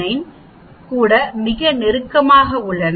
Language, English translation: Tamil, 89 are very close